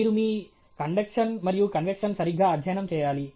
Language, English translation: Telugu, You study your conventional and conduction properly